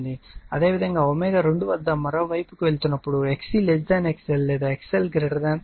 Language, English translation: Telugu, And similarly at omega 2 when is going to the other side XC less than XL or XL greater than XC